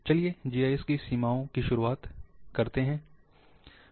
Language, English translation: Hindi, What are the limitations of GIS